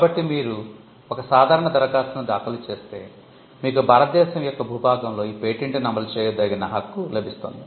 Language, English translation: Telugu, By getting an ordinary application, you can only enforce the patent within the boundaries of India